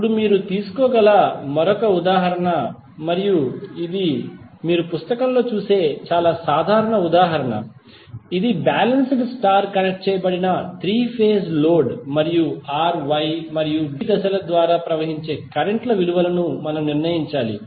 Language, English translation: Telugu, Now, another example which you can take and this is very common example you will see in book, this is balanced star connected 3 phase load and we need to determine the value of currents flowing through R, Y and B phase